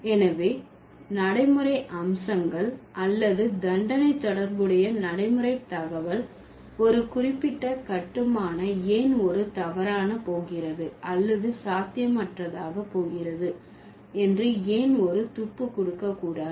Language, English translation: Tamil, So, the pragmatic features or the pragmatic information associated with the sentence should give us a clue why a particular construction is going to be anomalous or is going to be impossible